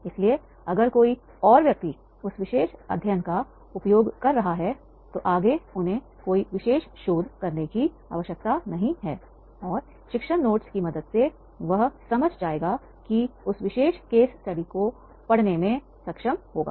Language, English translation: Hindi, So, therefore if somebody else is using their particular study, so therefore further he need not to do any particular additional research and with the help of teaching notes, he will understand and will be able to teach that particular case study